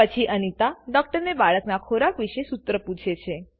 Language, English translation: Gujarati, Then, Anita asks the doctor about formula feeding the baby